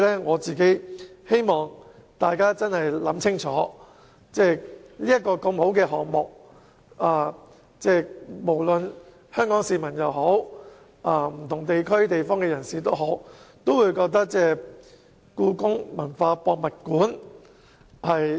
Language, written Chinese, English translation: Cantonese, 我希望大家明白，故宮館是個很好的項目，香港市民甚至其他地方的人士都希望能在當地興建故宮文化博物館。, I hope that people can understand that HKPM is a very good project . People of Hong Kong and those of the other places hope that a palace museum can be built in the local area